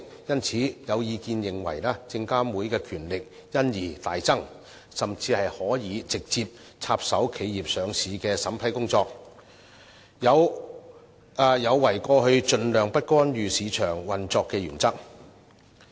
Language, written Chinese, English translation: Cantonese, 因此，有意見認為證監會的權力因而大增，甚至可直接插手企業上市的審批工作，有違過去盡量不干預市場運作的原則。, Hence some people think that SFC will thus be given much greater power and it may even be able to intervene with the vetting and approval of listing applications . That is against the long standing principle of the minimal market intervention